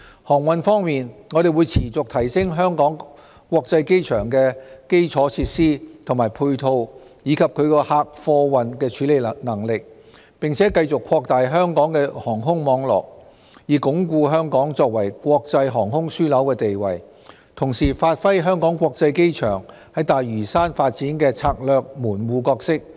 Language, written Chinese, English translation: Cantonese, 航運方面，我們會持續提升香港國際機場的基礎設施和配套，以及其客貨運的處理能力，並繼續擴大香港的航空網絡，以鞏固香港作為國際航空樞紐的地位，同時發揮香港國際機場在大嶼山發展的策略門戶角色。, In respect of shipping we will continuously upgrade the infrastructure and ancillary facilities of the Hong Kong International Airport as well as its passenger and cargo handling capacity and continue to expand Hong Kongs aviation network to reinforce Hong Kongs status as an international aviation hub . At the same time the Hong Kong International Airport will perform its strategic role as a gateway in the development of Lantau Island